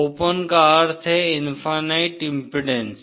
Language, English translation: Hindi, Open means infinite impedance